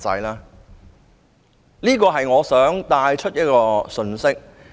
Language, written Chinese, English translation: Cantonese, 這是我想帶出的信息。, That is the message I would like to bring out